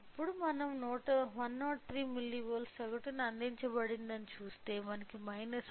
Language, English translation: Telugu, So, now, if we see we are provided mean of 103 milli volts, we are getting a mean of minus 1